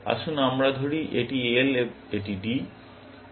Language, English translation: Bengali, Let us say this is L this is D